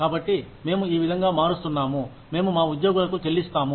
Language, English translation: Telugu, So, we are changing the manner in which, we pay our employees